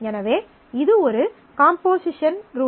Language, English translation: Tamil, So, that is a composition rule